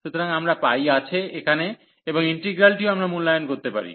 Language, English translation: Bengali, So, we have pi there, and the integral also we can evaluate